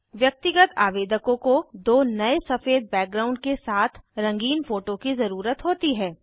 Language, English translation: Hindi, Individual applicants need two recent colour photographs with a white background